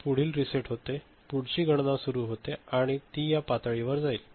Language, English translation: Marathi, So, next reset up you know, next count begins and it will go up to this level